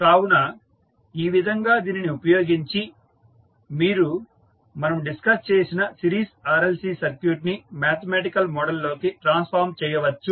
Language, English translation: Telugu, So, in this way using this you can transform the series RLC circuit which we discussed into mathematical model of the circuit